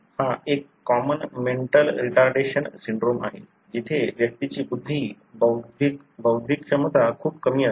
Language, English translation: Marathi, This is one of the common mental retardation syndromes, where the IQ, intellectual ability of the individual is very low